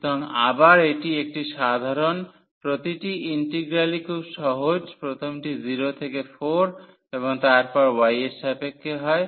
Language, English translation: Bengali, So, again this is a simple each of the integral is simplest the first one is 0 to 4 and then with respect to y